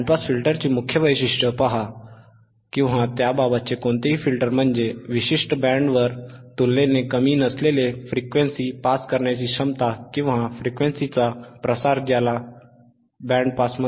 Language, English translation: Marathi, See the principal characteristics of a band pass filter or any filter for that matter is it is ability to pass frequencies relatively un attenuated over a specific band, or spread of frequencies called the pass band